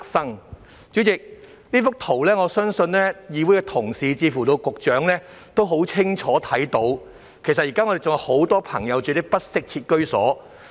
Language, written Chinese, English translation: Cantonese, 代理主席，我相信從我手上這幅圖片，議會同事以至局長也很清楚看到，現時還有很多朋友居住於不適切居所。, Deputy President I think fellow colleagues of the Council as well as the Secretaries can see clearly from this photograph in my hand that many people are still living in inadequate housing